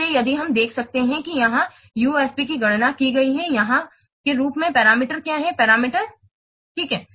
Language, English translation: Hindi, So if you can see that here the ufp is computed as the here what are the parameters